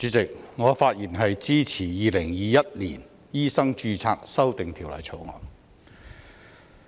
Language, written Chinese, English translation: Cantonese, 主席，我發言支持《2021年醫生註冊條例草案》。, President I speak in support of the Medical Registration Amendment Bill 2021 the Bill